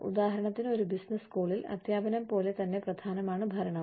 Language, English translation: Malayalam, For example, in a business school, administration is just as important as teaching